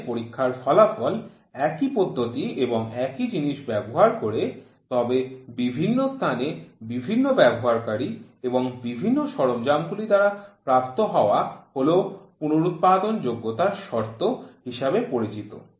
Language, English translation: Bengali, where the test results are obtained using same method and item, but in different place operator and the equipment is reproducibility condition